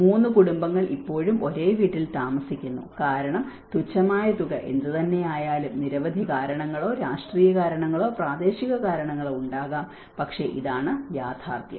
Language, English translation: Malayalam, Three families still live in the same house because whatever the meager amount is not, so there might be many various reasons or political reasons or the local reasons, but this is the reality